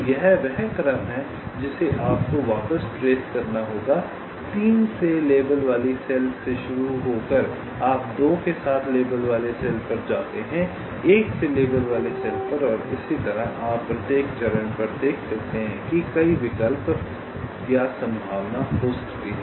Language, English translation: Hindi, so this is the sequence you need to be back traced: starting from a cell labeled with three, you go to a cell labeled with two, labeled with one and so on, and, as you can see, at each step there can be multiple choices or possibility